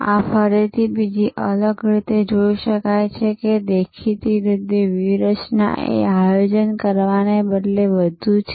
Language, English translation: Gujarati, Now, this is again can be looked at from another different way that; obviously, a strategy is more of doing rather than planning